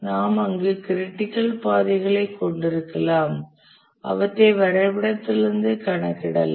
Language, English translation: Tamil, We can have the critical paths there and we can compute them from the diagram